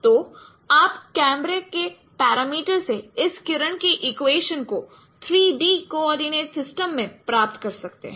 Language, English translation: Hindi, So, you can get from the camera parameters the equation of this particular direction of ray in the equation of this ray in the three dimensional coordinate system